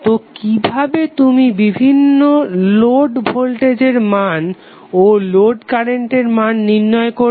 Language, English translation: Bengali, So how you will calculate the different load voltage and load current values